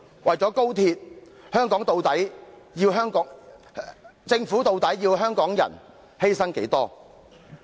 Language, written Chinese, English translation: Cantonese, 為了高鐵，究竟政府要香港人作出多少犧牲呢？, And how much more must Hong Kong people sacrifice indeed for the sake of XRL?